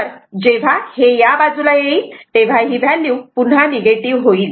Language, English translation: Marathi, So, again this value will become negative